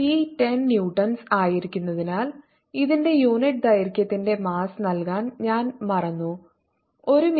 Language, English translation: Malayalam, as t is given to be ten newtons, i forgot to mention mass per unit length of this is given to be point zero, five kilograms per meter